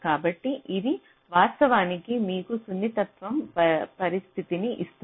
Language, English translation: Telugu, so this actually gives you the condition for sensitibility